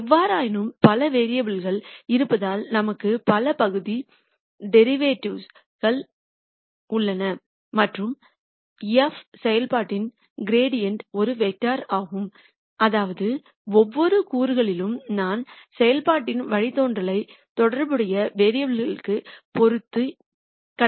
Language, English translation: Tamil, However since there are many variables we have many partial derivatives and the gradient of the function f is a vector such that in each component I compute the derivative of the function with respect to the corresponding variable